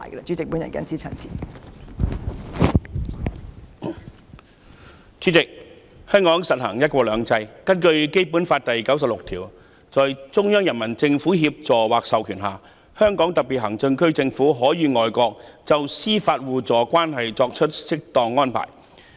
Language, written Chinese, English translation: Cantonese, 主席，香港實行"一國兩制"，根據《基本法》第九十六條，"在中央人民政府協助或授權下，香港特別行政區政府可與外國就司法互助關係作出適當安排"。, President one country two systems is implemented in Hong Kong and under Article 96 of the Basic Law which prescribes With the assistance or authorization of the Central Peoples Government the Government of the Hong Kong Special Administrative Region may make appropriate arrangements with foreign states for reciprocal juridical assistance